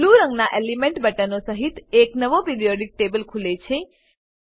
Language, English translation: Gujarati, A new Periodic table opens with elements buttons in Blue color